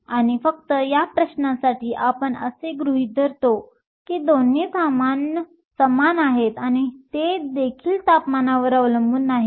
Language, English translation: Marathi, And just for this question, we assuming that both are same and that they are also independent of temperature